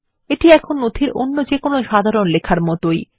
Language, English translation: Bengali, It is just like any normal text in the document